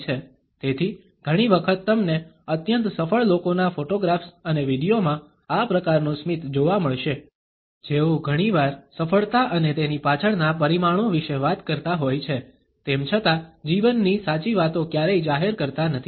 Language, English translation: Gujarati, So, often you would find this type of a smile in the photographs and videos of highly successful people, who may often talk about success and the parameters behind it, yet never revealed the true life stories